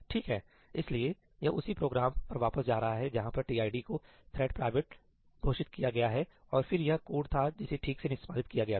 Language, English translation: Hindi, Okay, so, this is going back to the same program where tid is declared to be thread private and then this was the code which executed fine